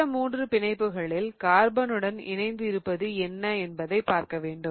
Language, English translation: Tamil, The other three bonds now what we need to do is we need to see what are the other carbons attached to